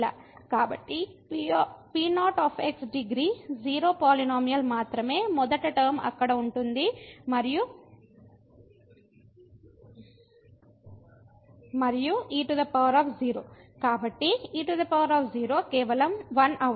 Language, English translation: Telugu, So, the the degree 0 polynomial only the first term will be present there and power 0, so power 0 will be just 1